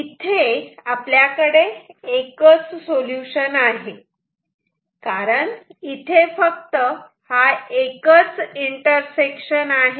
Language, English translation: Marathi, We can have only one solution because there is only one intersection